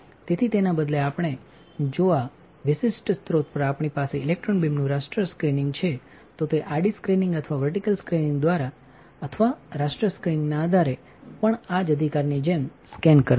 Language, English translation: Gujarati, So, instead of that we if we have the raster scanning of electron beam on this particular source, then it will scan like this right also depending on horizontal screening or vertical scanning or raster scanning